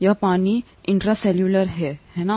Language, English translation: Hindi, This is water intracellular, right